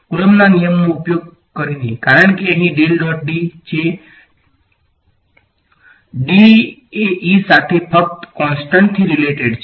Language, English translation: Gujarati, Using Coulomb’s law right because del dot D over here, del dot D and D is related to E just by a constant